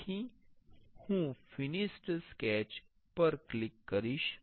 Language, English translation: Gujarati, I will click on the finished sketch